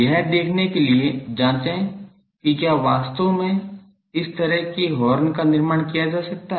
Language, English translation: Hindi, Check to see if such a horn can be constructed physically